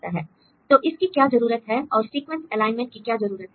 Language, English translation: Hindi, So, why we need this and what is the use of the sequence alignment